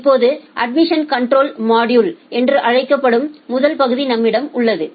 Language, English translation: Tamil, Now to ensure that we have the first module which is called the admission control module